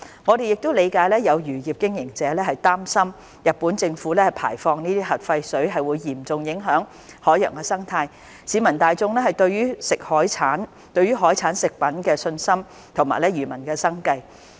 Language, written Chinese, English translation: Cantonese, 我們亦理解有漁業經營者擔心日本政府排放核廢水會嚴重影響海洋生態、市民大眾對海產食品的信心及漁民的生計。, We also understand many fishery operators are concerned that the discharge of wastewater from the Fukushima Nuclear Power Station into the ocean by the Japanese Government would have serious impacts on marine ecosystem public confidence in seafood products and fishermens livelihood